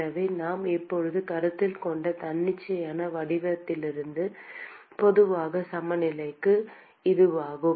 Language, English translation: Tamil, So, this is the general balance for the arbitrary geometry that we have just considered